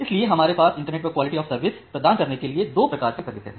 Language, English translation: Hindi, So, we have two modes of services to provide quality of service over the internet